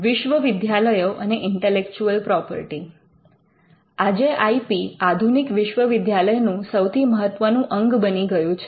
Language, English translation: Gujarati, Universities and Intellectual Property: Today IP has become one of the important components of a modern universities